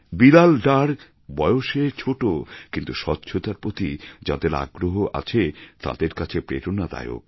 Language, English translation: Bengali, Bilal is very young age wise but is a source of inspiration for all of us who are interested in cleanliness